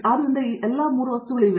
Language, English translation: Kannada, So, all these 3 things are there